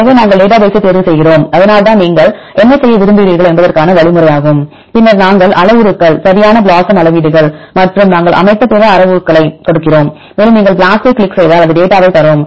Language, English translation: Tamil, So, we select database, and this is the algorithm why what you want to perform and then we give the parameters right the BLOSUM metrics and other parameters we set, and if you click the BLAST it will give you the data